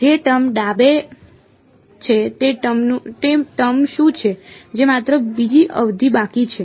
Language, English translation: Gujarati, The term that is left is what is the term that is left only second term right